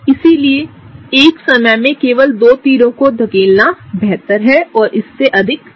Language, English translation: Hindi, So, it is better to just push two arrows at a time and no more than that